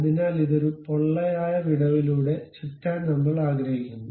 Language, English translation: Malayalam, So, this one I would like to really revolve around that with a hollow gap